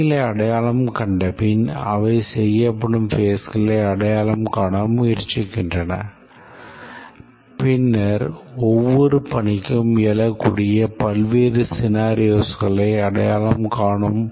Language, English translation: Tamil, And then after identifying the tasks, they try to identify the steps through which these will be performed and then the various scenarios that may arise for each task